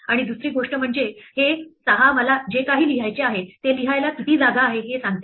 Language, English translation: Marathi, And the second thing is that it says this 6 tells me how much space I have to write whatever I have to write